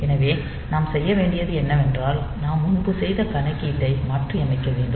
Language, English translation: Tamil, So, what we need to do is just to reverse the calculation that we have done previously